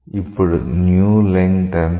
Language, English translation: Telugu, Now what is the new length